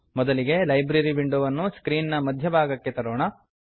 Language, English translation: Kannada, * First, lets move the Library window to the centre of the screen